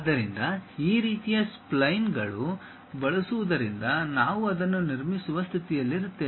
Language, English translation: Kannada, So, using these kind of splines one will be in a position to construct it